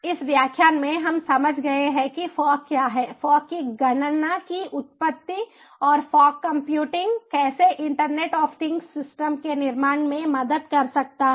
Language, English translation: Hindi, in this lecture we have understood what fog is, the genesis of fog computing, and also about how fog computing can help in building internet of things systems